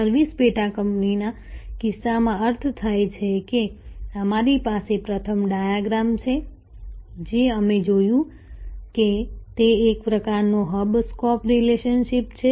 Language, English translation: Gujarati, In case of service subsidiary means we have the first diagram, that we looked at that it is some kind of a hub spoke relationship